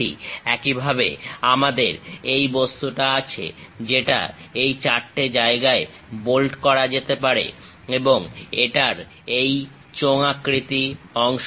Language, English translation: Bengali, Similarly, we have this object, which can be bolted at this four locations and it has this cylindrical portion